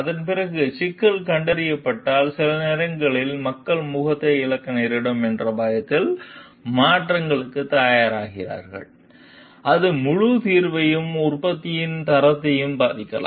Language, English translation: Tamil, And after that if the problem is detected, then it is sometimes people are reluctant to change to for fear of losing face, and that may affect the whole solution and the quality of the product